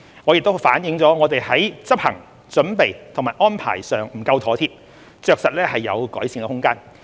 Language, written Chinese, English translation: Cantonese, 這亦反映我們在執行、準備和安排上不夠妥貼，着實有改善空間。, This reflects that there is certainly room for improvement in our implementation preparation and arrangements which could be more thoughtful